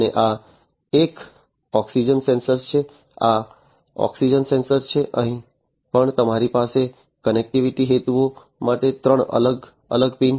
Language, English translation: Gujarati, And this one is an oxygen sensor, this is the oxygen sensor, here also you have three different pins for connectivity purposes